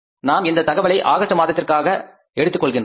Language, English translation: Tamil, This is the information for August we have to take this information for the August